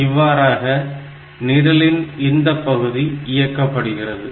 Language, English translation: Tamil, So, this way this whole program will operate